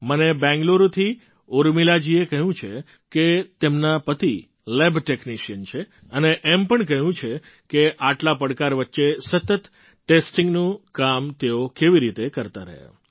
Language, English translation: Gujarati, I have been told by Urmila ji from Bengaluru that her husband is a lab technician, and how he has been continuously performing task of testing in the midst of so many challenges